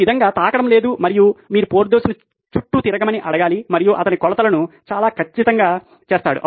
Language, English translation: Telugu, This way there is no touching and you just have to ask Porthos to move around and he would make the measurements quite accurately